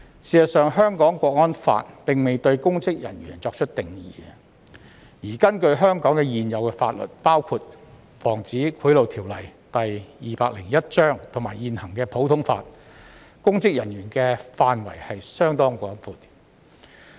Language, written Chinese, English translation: Cantonese, 事實上，《香港國安法》並未對公職人員作出定義，而根據香港現有法律，包括《防止賄賂條例》及現行普通法，公職人員的範圍相當廣闊。, In fact the National Security Law has not defined public officers . According to the existing laws of Hong Kong including the Prevention of Bribery Ordinance Cap